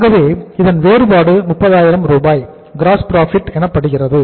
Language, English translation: Tamil, So the difference is the gross profit that is called as gross profit 30,000 Rs